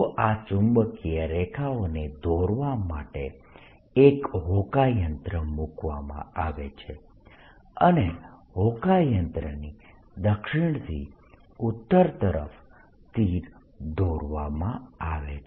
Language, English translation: Gujarati, so to plot these magnetic lines, one puts a compass and draws arrows going from south to north of the compass